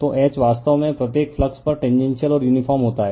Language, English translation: Hindi, So, H actually at every flux is tangential and uniform right